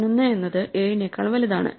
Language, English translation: Malayalam, At this point 11 is bigger than 10